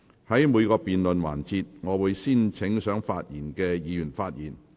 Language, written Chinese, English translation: Cantonese, 在每個辯論環節，我會先請想發言的議員發言。, In each debate session I will first call upon those Members who wish to speak to speak